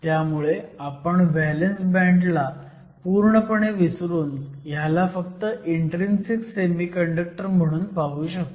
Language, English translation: Marathi, So, we can ignore the valence band totally, and think of this as an intrinsic semiconductor